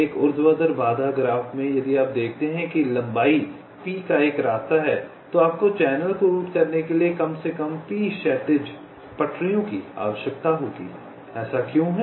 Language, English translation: Hindi, in a vertical constraint graph, if you see that there is a path of length p, then you will need at least p horizontal tracks to route the channel